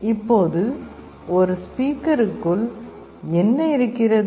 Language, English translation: Tamil, Now, what is there inside a speaker